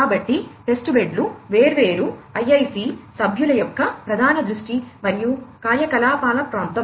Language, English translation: Telugu, So, testbeds are an area of major focus and activity of the different IIC members